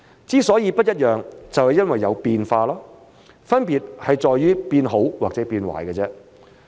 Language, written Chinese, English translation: Cantonese, 之所以不一樣，就是因為有變化，分別在於變好還是變壞而已。, The reason for the difference was simply that there were changes . What mattered was whether the changes were for better or for worse